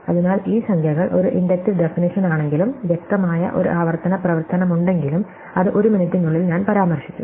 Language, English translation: Malayalam, So, it is very clear that though these numbers have an inductive definition and there is an obvious recursive function that goes with it which I have just mention in a minute